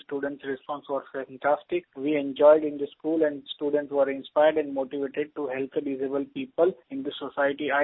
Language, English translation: Hindi, And the students' response was fantastic, we enjoyed in the school and the students were inspired and motivated to help the disabled people in the society